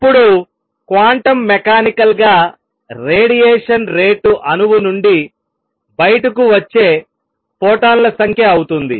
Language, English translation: Telugu, Now, quantum mechanically, the rate of radiation would be the number of photons coming out from an atom